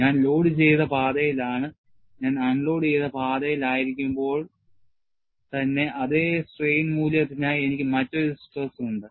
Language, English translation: Malayalam, I am in the loaded path; when I am in the unloaded path, for the same strain value, I have a different stress